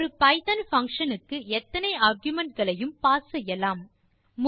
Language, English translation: Tamil, How many arguments can be passed to a python function